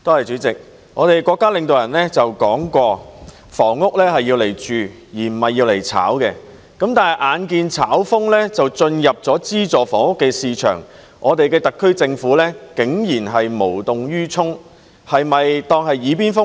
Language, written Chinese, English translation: Cantonese, 主席，國家領導人曾說，房屋是用來居住的，不是用來炒賣的，但眼見"炒風"已進入資助房屋市場，特區政府竟然無動於衷，它是否當作"耳邊風"呢？, President our country leaders have said that housing is used for living and not for speculation . But now that speculative activities have entered the subsidized housing market and the SAR Government has done nothing I wonder if the Government is turning a deaf ear to their words